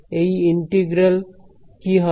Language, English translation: Bengali, So, what will this integral be